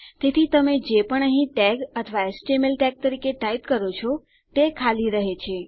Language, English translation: Gujarati, So whatever you type in here as tag or as html tag, its just blank